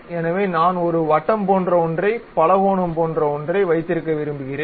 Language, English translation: Tamil, So, I would like to have something like circle, something like polygon